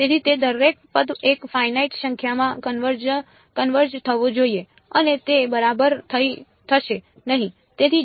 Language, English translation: Gujarati, So, each of those terms should converge to a finite number and that will not happen right